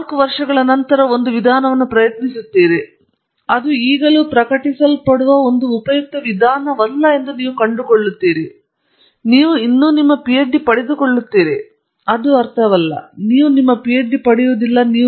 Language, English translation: Kannada, Sometimes you try out a method after four years, you discover it is not a useful method it is still publishable you will still get your PhD, it does’nt mean, you would not get your PhD